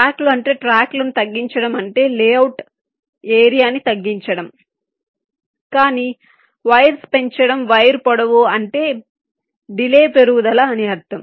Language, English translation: Telugu, shorter tracks do mean that reducing tracks means shorter area for layout, but increasing wires wire length may mean and increase in delay